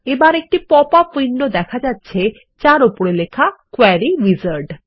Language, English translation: Bengali, Now, we see a popup window that says Query Wizard on the top